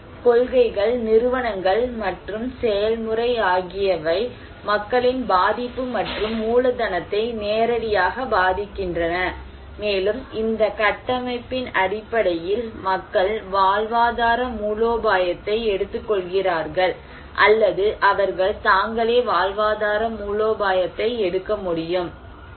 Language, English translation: Tamil, So, policies, institutions, and process also directly influence the vulnerability and the capital of people and based on this framework people take livelihood strategy or they can take livelihood strategy